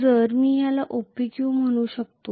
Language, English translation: Marathi, So if I may call this as OPQ